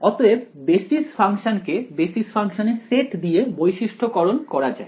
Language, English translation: Bengali, So, basis function so it is characterized by set of basis function